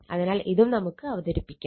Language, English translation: Malayalam, So, this we also can represent